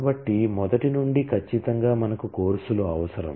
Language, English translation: Telugu, So, first from the beginning certainly we need the courses